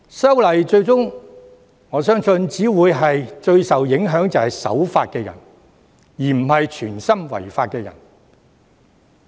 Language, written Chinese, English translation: Cantonese, 因此，我相信修訂《條例》最終只會影響守法的人，而非有心違法的人。, Therefore I believe at the end of the day the amendments to the Ordinance will only affect law - abiding people but not those who wilfully break the law